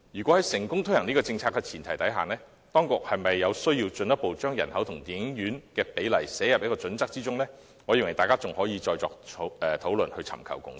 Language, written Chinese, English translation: Cantonese, 在成功推行這項政策的前提下，就當局應否進一步把人口與電影院的比例納入《規劃標準》中，我認為大家仍可再作討論，尋求共識。, On the premise of the successful implementation of this policy I am of the view that we can still have more discussion on whether the authorities should further incorporate the population - to - cinema ratio into HKPSG in order to arrive at a consensus